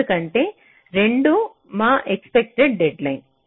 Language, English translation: Telugu, because two is our expected deadline